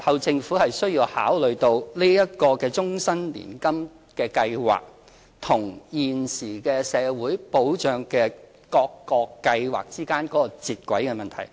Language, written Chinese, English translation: Cantonese, 政府日後需要考慮到這個終身年金計劃與現時各個社會保障計劃之間的接軌問題。, The Government has to consider the alignment concerning the Life Annuity Scheme and various existing social security schemes in the future